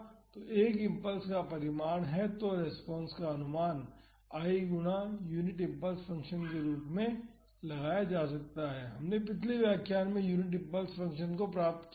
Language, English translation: Hindi, So, I is the magnitude of the impulse so, the response can be approximated as I times the unit impulse function, we derived the unit impulse function in the previous lectures